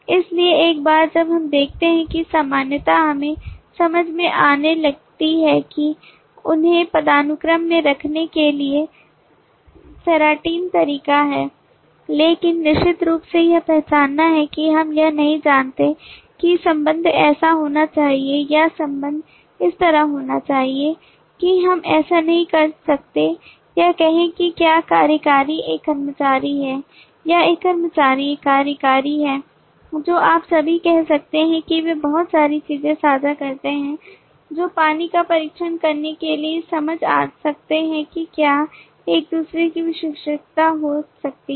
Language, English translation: Hindi, so once we see that commonality we start sensing that there is ceratin way to put them in a hierarchy, but of course just be identifying this we do not know if the relationship should be like this or the relationship should be like this that is we cannot say whether executive is an employee or an employee is an executive all that you can say that they share a lot of things that might make sense to test the waters to see if one can be a specialization of the other